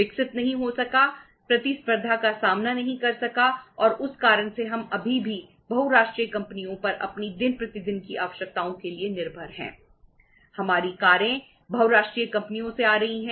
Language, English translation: Hindi, Could not grow, could not face the competition and because of that say uh we are still dependent upon the multinational companies for most of our day to day requirements